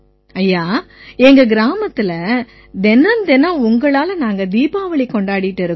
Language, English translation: Tamil, Sir, Diwali is celebrated every day in our village because of you